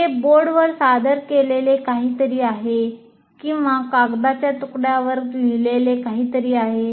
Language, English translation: Marathi, That is something is presented on the board or something is written on a piece of paper